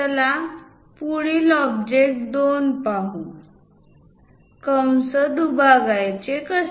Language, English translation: Marathi, Let us look at next object 2; how to bisect an arc